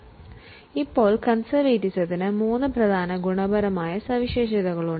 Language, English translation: Malayalam, Now, for conservatism, there are three important qualitative characteristics